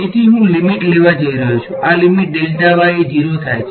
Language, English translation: Gujarati, So, I am going to take the limit; this limit delta y tending to 0